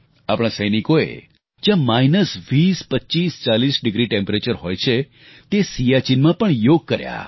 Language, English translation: Gujarati, Our soldiers practiced yoga in Siachen where temperatures reach minus 20, 25, 40 degrees